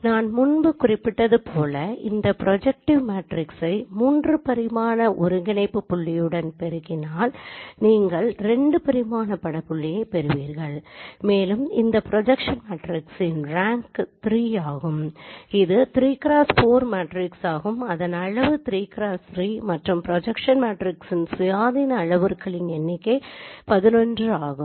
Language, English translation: Tamil, So first thing as I mentioned the interpretation of the projection matrix is that if I multiply it with the three dimensional coordinate point you will get the two dimensional image point and the rank of this position matrix is three it's a three cross four matrix its size is three cross four and the number of independent parameters in the projection matrix is 11